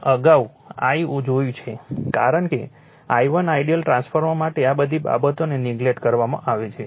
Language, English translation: Gujarati, Earlier I saw I 1 I one because for ideal transfer all these things are neglected